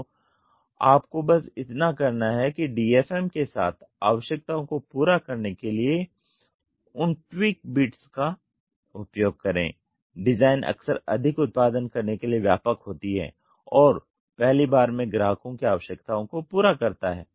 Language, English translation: Hindi, So, all you have to do is use those tweak little bit of meets out the requirements with DFM the design is often more comprehensive effective to produce and meet the customer requirements the first time